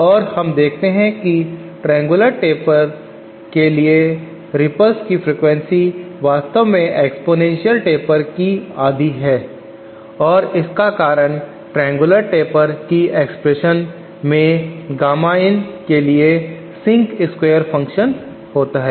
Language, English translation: Hindi, And we see that the frequency of the ripples for the triangular taper is actually half that of the exponential taper and this is because of the presence of the sync square term for this expression Gamma in of the triangular taper